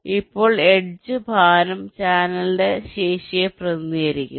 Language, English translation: Malayalam, now, edge weight represents the capacity of the channel